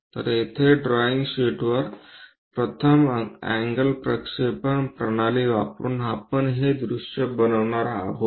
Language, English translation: Marathi, So, here on the drawing sheet, using first angle projection system we are going to construct this views